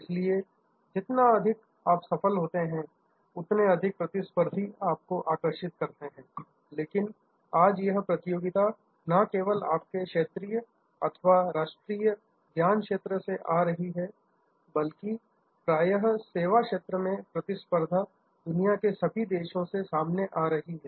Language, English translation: Hindi, So, the more you succeed, the more competitors you attract, but today these competition is coming not only from your regional or national domain, but competitions in the service field or often coming from all over the world